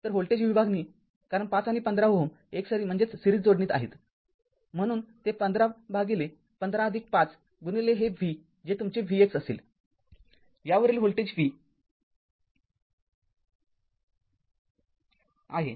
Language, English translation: Marathi, So, voltage division because 5 and 15 ohm are in series so, it will be 15 by 15 plus 5 into this v that will be your v x, this voltage across this is v